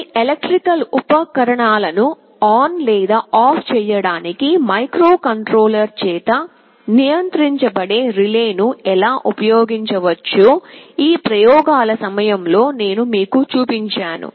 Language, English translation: Telugu, In this set of experiments I showed you how we can use a relay controlled by a microcontroller to switch ON or OFF some electrical appliance